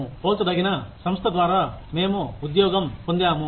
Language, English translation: Telugu, We have been employed by a comparable organization